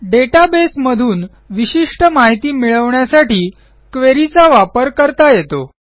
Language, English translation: Marathi, A Query can be used to get specific information from a database